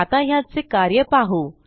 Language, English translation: Marathi, So we can see how this works